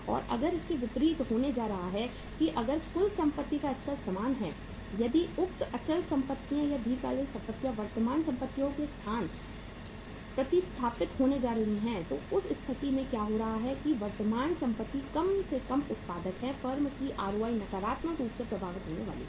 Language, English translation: Hindi, And if vice versa is going to happen that if keeping the level of total asset is same if the say fixed assets or the long term assets are going to be replaced with the current assets so in that case what is happening current assets being least productive ROI of the firm is going to be impacted negatively